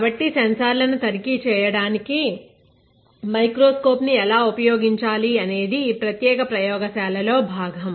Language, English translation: Telugu, So, how to use microscope to inspect your sensors, this is the part of this particular lab